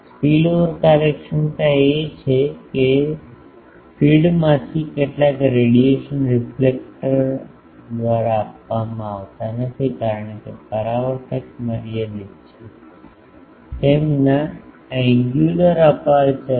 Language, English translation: Gujarati, Spillover efficiency is that some radiation from the feed is not intercepted by the reflector because, reflector is finite it has an angular aperture